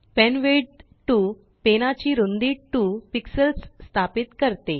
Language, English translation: Marathi, penwidth 2 sets the width of the pen to 2 pixels